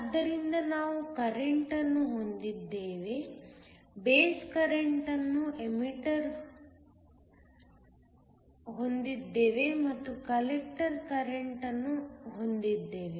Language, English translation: Kannada, So, We have the emitter current, we have the base current and you have the collector current